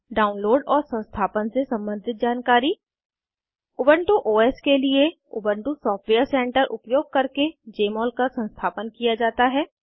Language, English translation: Hindi, Information regarding Download and Installation For Ubuntu OS, installation of Jmol is done using Ubuntu Software Center